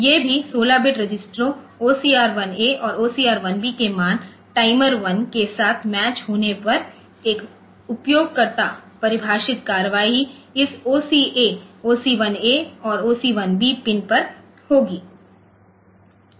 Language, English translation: Hindi, So, these are also 16 bit registers the value of OCR 1 and OCR B matches with that of timer one user defined action will take place on this OCA, OC 1 A and OC 1 B pin